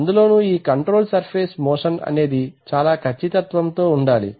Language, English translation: Telugu, And these control surface motion must be very, very precise